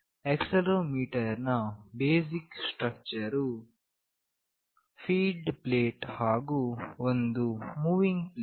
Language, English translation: Kannada, The basic structure of the accelerometer consists of a fixed plate and a moving plate